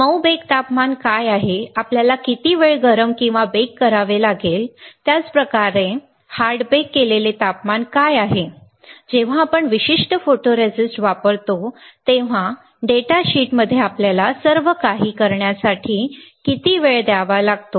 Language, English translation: Marathi, What is the soft bake temperature; how much time you have to heat or bake, same way; what is a hard baked temperature; how much time you have to make everything is given in the data sheet when we use a particular photoresist